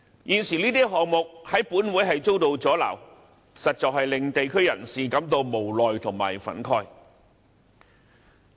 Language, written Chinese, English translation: Cantonese, 現時這些項目在本會遭到阻撓，實在令地區人士感到無奈和憤慨。, Now that these projects are blocked in this Council it has indeed made members of the community feel helpless and indignant